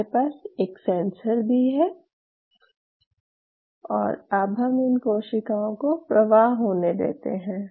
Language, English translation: Hindi, Now, I have a sensor say for example, I allow the cells to flow